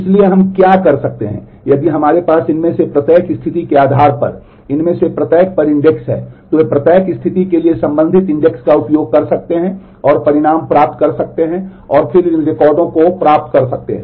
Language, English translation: Hindi, So, what we can do is if we have index on each one of these based on each one of these conditions then they can use corresponding index for each condition get the results and take their union and then fetch these records